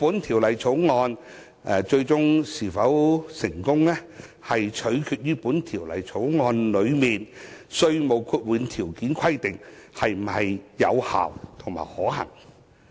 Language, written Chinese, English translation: Cantonese, 《條例草案》的最終成效，取決於《條例草案》內的稅務豁免條件規定是否有效及可行。, The ultimate effectiveness of the Bill depends on whether the conditions and requirements for tax exemption in the Bill are effective and feasible